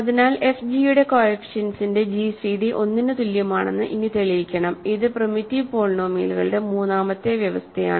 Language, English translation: Malayalam, So, it only remains to show that the gcd of coefficients of f g is 1 equivalently that is the third condition, right of primitive polynomials